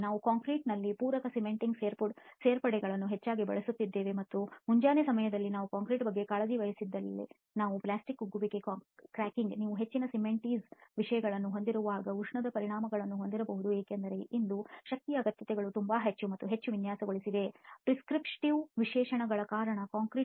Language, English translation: Kannada, There are other issues also that are on the rise like plastic shrinkage, we are increasingly using supplementary cementing additives in the concrete and if we do not take care of concrete during the early hours we can have plastic shrinkage cracking, thermal effects when you have very high cementitious contents because today needs for strength are very high and over designed concrete because of prescriptive specifications